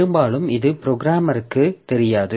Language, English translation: Tamil, So, often so this is not visible to the programmer